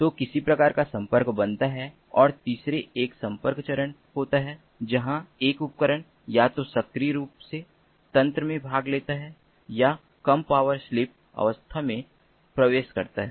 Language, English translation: Hindi, and the third one is the connection phase, where a device either actively participates in the network or enters a low power sleep mode